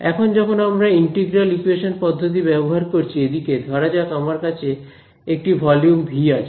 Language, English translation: Bengali, Now when I use integral equation methods; let us look at this over here, and let us say I have some volume v over here ok